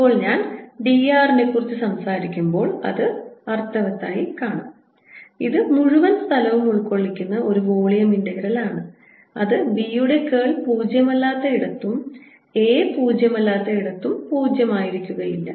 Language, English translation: Malayalam, now you see it make sense when i talk about d r, which is the volume integral over the entire space, that it'll be non zero wherever curl of b is non zero and where are wherever a is non zero